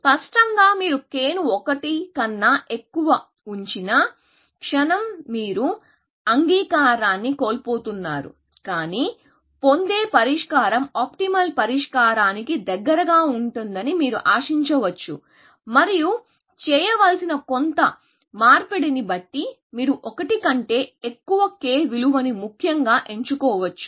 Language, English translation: Telugu, So, obviously, the moment you put k greater than 1, you are losing admissibility, but you can expect that your solution would be close to optimal solution, and depending on some trade off that you may have to make, you can choose the value of k higher than 1, essentially